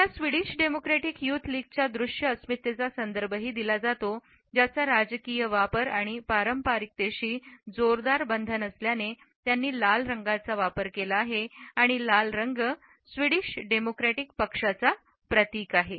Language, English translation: Marathi, She is also referred to the visual identity of the Swedish Democratic Youth League which has used red as it is a strongly tied to the political affiliations and the traditional symbol of the red rolls as far as the Swedish Democratic Party is concerned